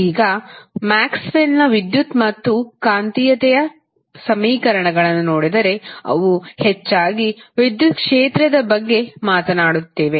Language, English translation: Kannada, Now, the if you see the electricity and magnetism equations of Maxwell they are mostly talking about the electric field